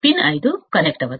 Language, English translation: Telugu, Pin 5 is not connected